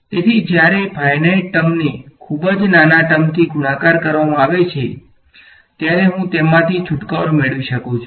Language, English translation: Gujarati, So, when a finite term is multiplied by a vanishingly small term, I can get rid off it right